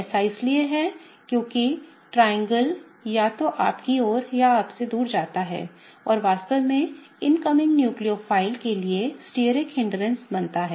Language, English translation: Hindi, That is because the triangle gets formed either towards you or away from you and really creates the steric hindrance for the incoming nucleophile